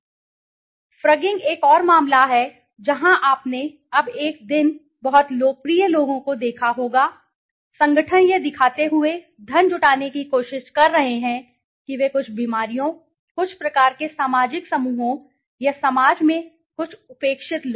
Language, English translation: Hindi, I just said, frugging is another case where you must have seen now a day's very popularly the people, organizations are trying to raise funds by showing that they are conducting some kind of research maybe on certain diseases, certain kinds of social groups or certain neglected people in the society